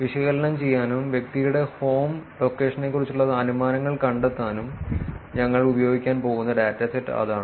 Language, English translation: Malayalam, That is the dataset we are going to play around with to do the analysis, to find inferences about the home location of the person